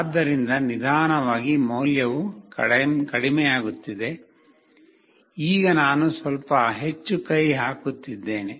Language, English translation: Kannada, So, slowly the value is getting decreased, now I am putting little more hand